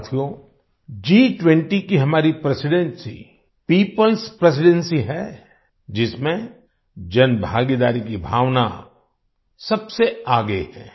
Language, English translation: Hindi, Friends, Our Presidency of the G20 is a People's Presidency, in which the spirit of public participation is at the forefront